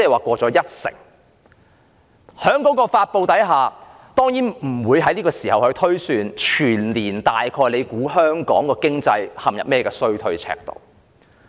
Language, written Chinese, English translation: Cantonese, 在這種情況下，陳茂波司長當然不會推算全年香港經濟會陷入甚麼衰退程度。, Under the circumstances Paul CHAN certainly would not forecast the extent of economic recession suffered by Hong Kong in the whole year